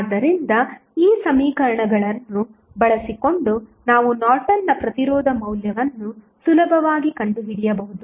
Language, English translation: Kannada, So, using these equations, you can easily find out the value of Norton's resistance